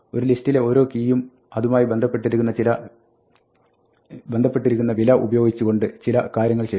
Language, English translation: Malayalam, This is something for every key in a list do something with a value associated to that